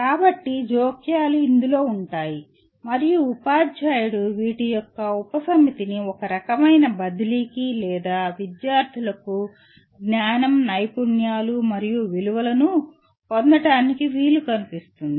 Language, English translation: Telugu, So the interventions consist of this and the teacher chooses a subset of these to kind of transfer or rather to facilitate students to acquire knowledge, skills and values